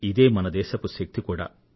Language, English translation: Telugu, This is the nation's strength